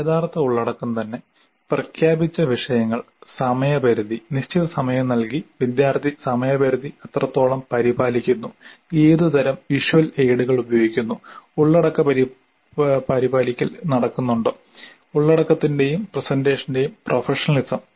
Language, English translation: Malayalam, And then the actual content itself, the topics announced the timeframe given certain amount of time to what extent the timeframe is being maintained by the student, then what kind of visual aids are being used, then whether the content compliance is happening and professionalism of content and presentation